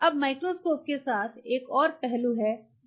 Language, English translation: Hindi, Now with a microscope there is another aspect which answer, do you want